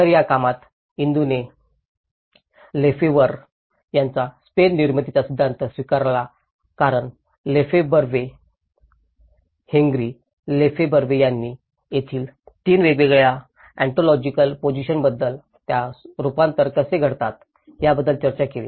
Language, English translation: Marathi, So, in this work, Indu have adopted Lefebvreís theory of production of space because this is one of the sociological component where Lefebvre, Henri Lefebvre talked about 3 different ontological positions of place, how it gets transformed